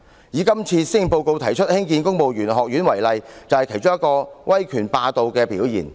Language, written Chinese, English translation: Cantonese, 以今次施政報告提出興建公務員學院為例，便是其中一個威權霸道的表現。, Take the establishment of the Civil Service Academy in this Policy Address as an example . It is one of the manifestations of authoritarianism